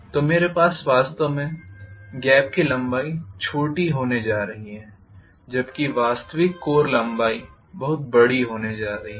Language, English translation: Hindi, So I am going to have the gap length to be really really small whereas the actual core length is going to be much larger